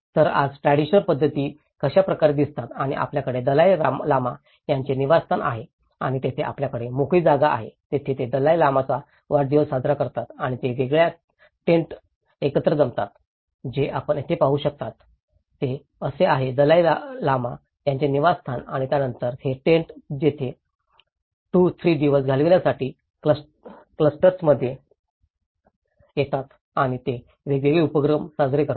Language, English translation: Marathi, So, today this is how the traditional patterns look like and you have the Dalai Lama's residence and where they have the open space, they celebrate Dalai Lama's birthday and they gather in different tents what you can see here is this is how the Dalai Lama's residence and then, these tents they come in a clusters to spend 2, 3 days there and they celebrate different activities